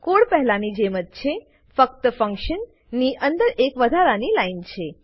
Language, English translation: Gujarati, The code is the same as before, except for an extra line of code inside the function